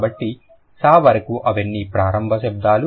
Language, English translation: Telugu, So until S, all of them are initial sounds